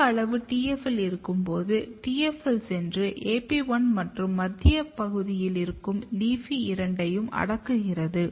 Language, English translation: Tamil, And when you have high amount of TFL, TFL goes and it repress both AP1 as well as LEAFY in the center region